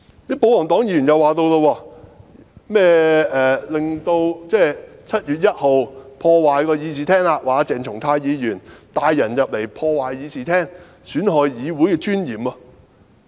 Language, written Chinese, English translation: Cantonese, 保皇黨議員又提出，鄭松泰議員在7月1日帶人進入和破壞會議廳，損害議會的尊嚴。, Members of the royalist camp further argued that Dr CHENG Chung - tai led people into the Chamber to damage it thus undermining the dignity of the Legislative Council